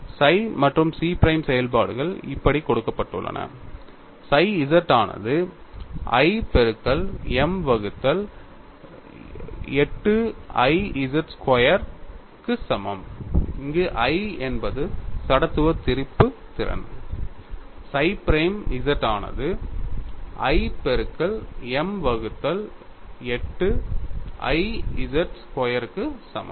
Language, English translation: Tamil, The functions psi and chi prime are given like this, psi z equal to i into M divided by 8I z squared or I is the amount of inertia chi prime z equal to i into M divided by 8I z square both are equal; here it is psi of z, here it is chi prime z